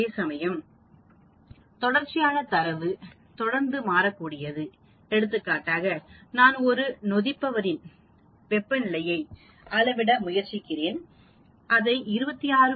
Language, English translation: Tamil, Whereas in Variable data; continuous data, you can have continuously changing, for example, I can measure temperature of a fermenter continuously, I can call it 26